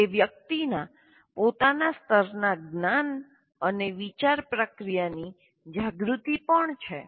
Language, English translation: Gujarati, It is also a person's awareness of his or her own level of knowledge and thought processes